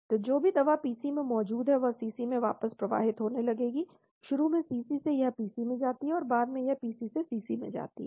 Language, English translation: Hindi, So whatever drug that is present in the PC will start flowing back into the CC , initially from CC it goes to PC and afterwards it goes from the PC to CC